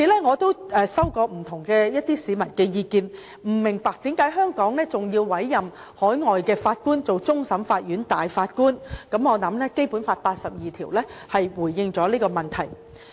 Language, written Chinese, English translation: Cantonese, 我收到不同市民的意見，表示不明白為何香港還要委任海外法官擔任終審法院大法官，我認為《基本法》第八十二條已經回應了這個問題。, Many members of the public have told me that they do not understand why it is still necessary for Hong Kong to appoint overseas Judges as Judges of CFA . I believe Article 82 of the Basic Law has already addressed this question